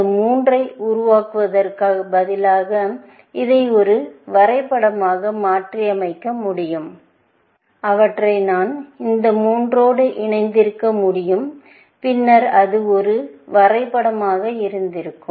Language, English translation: Tamil, We could have converted this into a graph by, instead of generating these three, I could have connected them to these three, and then, it would have been a graph